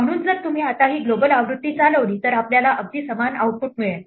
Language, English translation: Marathi, So, if you run this now this global version, we get exactly the same output